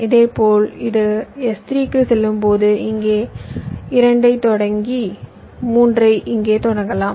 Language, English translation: Tamil, similarly, when this goes to s three, i want to start two here and start three here